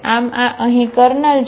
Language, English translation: Gujarati, So, this is the kernel here